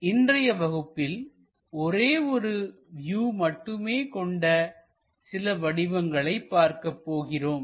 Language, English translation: Tamil, In today's class, we look at few more objects like only one view